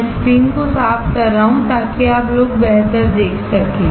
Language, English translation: Hindi, I am clearing out the screen, so that you guys can see better